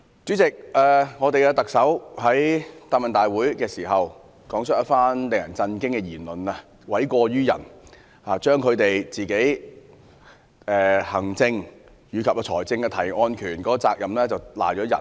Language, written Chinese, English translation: Cantonese, 主席，特首在答問會上，發表一番令人震驚的言論，諉過於人，將他們行政及財政提案的責任推卸給別人。, President at the Chief Executives Question and Answer Session the Chief Executive made an alarming remark to shift the blame . She shifted the responsibility of making administrative and financial proposals to others